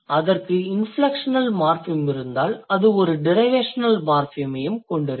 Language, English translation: Tamil, If it has inflection morphem then it will also have derivation morphem